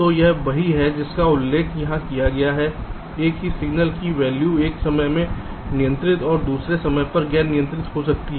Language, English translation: Hindi, so this is what is mentioned here: the same signal can have a controlling value at one time and non controlling value at another time